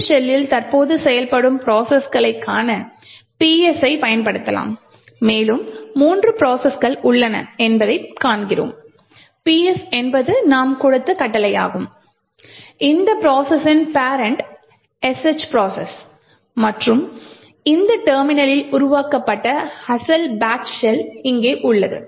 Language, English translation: Tamil, So, this shell is the SH shell so we can do all the shell commands you can also look at PS that is the processes that are executing in this shell and we see that, infact, there are three processes, PS is the process that is the command that we have given and the parent for this process is the SH process and the original batch shell which was created with this terminal is present here